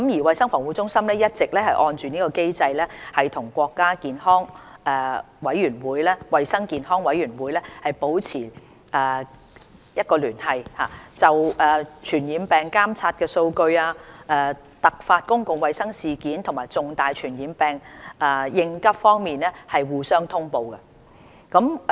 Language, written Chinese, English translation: Cantonese, 衞生防護中心一直按機制與國家衞健委保持聯繫，就傳染病監測數據、突發公共衞生事件和重大傳染病應急方面互相通報。, CHP has been maintaining close liaison with NHC under the established mechanism which requires Hong Kong and the Mainland to notify one another on surveillance data on infectious diseases emergency public health incidents and responses to major infectious diseases